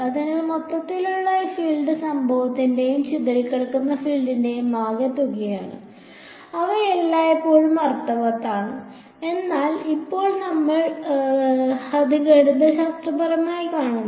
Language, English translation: Malayalam, So, total field is the sum of incident and scattered field intuitively they are always made sense, but now we are seeing it mathematically